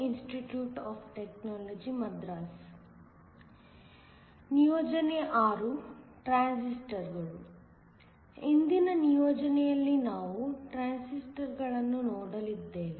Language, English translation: Kannada, In today’s assignment, we are going to look at transistors